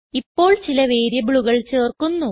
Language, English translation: Malayalam, Now Let us add some variables